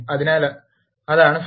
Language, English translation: Malayalam, So, that is the result